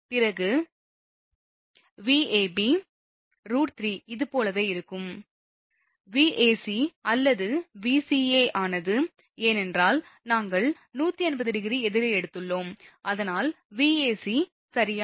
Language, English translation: Tamil, Then then Vab will be root 3 Van this one similarly, Vac it was Vca because we have taken 180 degree opposite that is why, Vac right